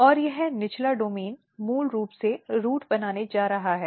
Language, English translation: Hindi, And this lower domain is basically going to make the root